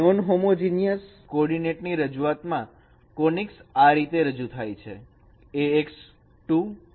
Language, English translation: Gujarati, Whereas in a homogeneous coordinate representation, the conics are represented in this form